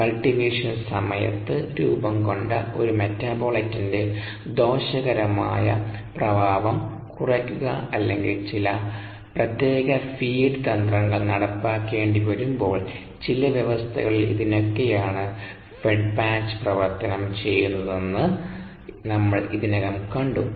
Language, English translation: Malayalam, we have already seen that the fed batch operation is is preferred under some conditions, such as minimizing the deleterious effect of a metabolite formed during the cultivation or when some specials feed strategies need to be implemented